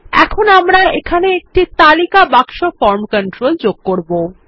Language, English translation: Bengali, Now, we will place a List box form control here